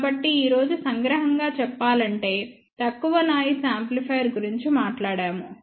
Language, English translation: Telugu, So, just to summarize today we talked about low noise amplifier